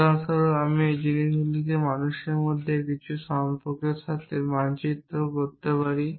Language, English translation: Bengali, For example, I could map these things to some relation between people